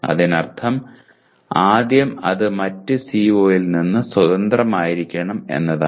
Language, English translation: Malayalam, That means first thing is it should be independent of other CO